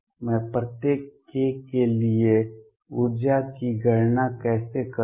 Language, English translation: Hindi, How do I calculate the energy for each k